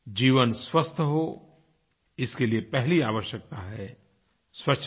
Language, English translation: Hindi, The first necessity for a healthy life is cleanliness